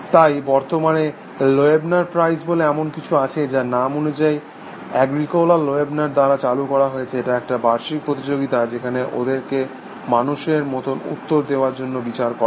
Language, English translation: Bengali, So, currently there is something called a Loebner prize, which has been instituted by Agricola Loebner as a name suggest, it is an annual competition, where they are judged by for human like response